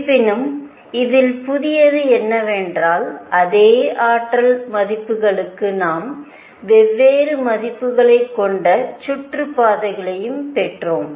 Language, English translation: Tamil, However, what was new in this was that for the same energy values we also obtained orbits which could be of different values